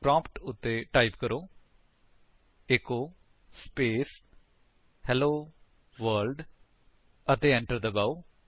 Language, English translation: Punjabi, Type at the prompt: echo space Hello World and press Enter